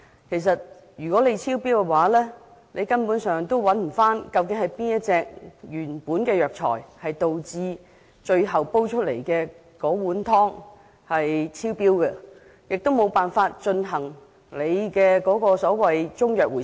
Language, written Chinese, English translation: Cantonese, 其實，如果在這階段發現超標，根本不會知道究竟是哪一種藥材導致最後煎煮出來的藥湯超標，故此無法進行中藥安全令所指示的回收。, Actually even if any excess is found at this stage which type of herbal medicines has caused the final decoction to exceed the limit is unknown . For this reason there is no way to carry out a recall under a CMSO